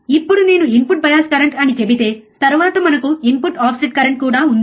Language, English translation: Telugu, Now, if I say input bias current, then we have input offset current as well